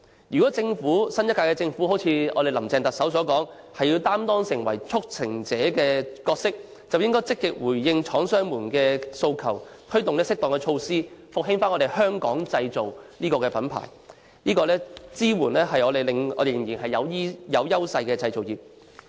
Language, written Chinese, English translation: Cantonese, 如果新一屆政府真的如特首"林鄭"所言，要擔當"促成者"的角色，便應該積極回應廠商們的訴求，推出適當措施復興香港製造的品牌，支援仍然具有優勢的製造業。, If the new Government really wants to play the role of a promoter as depicted by Chief Executive Carrie LAM it should proactively respond to the demands of manufacturers and introduce appropriate measures to revitalize Hong Kong - made brands and support manufacturing industries that still have advantages